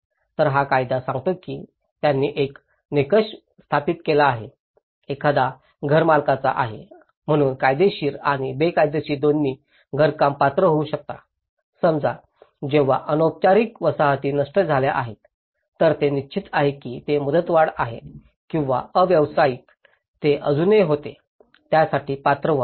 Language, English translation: Marathi, So, this law states that they have established a criteria, one is being a homeowner both legal and illegal constructions can qualify, let’s say when informal settlements have been destroyed then obviously if it is a tenured or a non tenured so, they were still be eligible for it